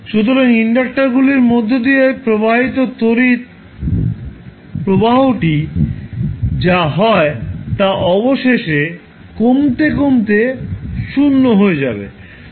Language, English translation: Bengali, So, whatever is there the current which is flowing through the inductor will eventually decay out to 0